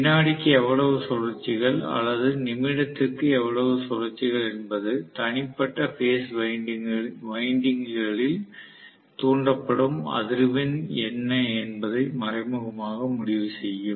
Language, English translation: Tamil, So the revolutions per second or revolutions per minute indirectly decide what is the frequency which is being induced in individual phase windings